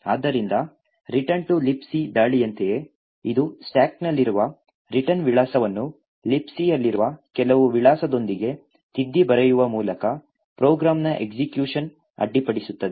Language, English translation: Kannada, So just like the return to libc attack it subverts execution of a program by overwriting the return address present in the stack with some address present in libc